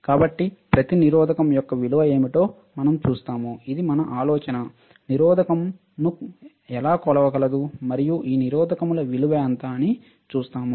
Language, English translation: Telugu, So, we will see what is the value of each resistor ok, this is the idea that we see how we can measure the resistance and what is the value of these resistors